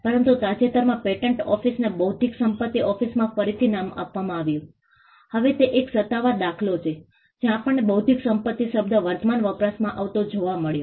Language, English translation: Gujarati, But recently the patent office was rebranded into the intellectual property office, now so that is one official instance where we found the term intellectual property getting into current usage